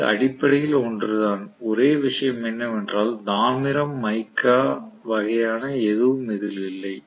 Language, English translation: Tamil, It is essentially the same, only thing is there are no copper mica, copper mica kind of thing